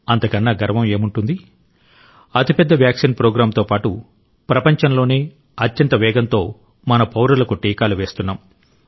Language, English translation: Telugu, Along with the biggest Vaccine Programme, we are vaccinating our citizens faster than anywhere in the world